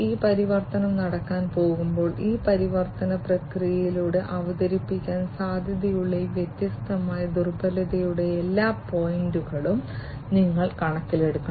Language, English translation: Malayalam, So, now, when this transformation is going to take place you have to take into account all these different points of vulnerability that can be potentially introduced through this transformation process